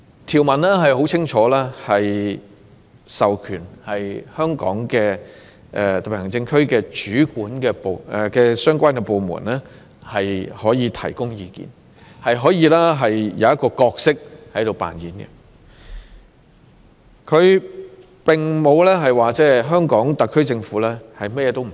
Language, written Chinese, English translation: Cantonese, "條文清楚指出，香港特區的相關部門可以提供意見，可以扮演一個角色，香港特區政府並非甚麼也不可以做。, As it is clearly provided here relevant departments of the Hong Kong Special Administrative Region HKSAR may offer advice on the matter . The HKSAR Government does have a role to play and it is not true that there is nothing it can do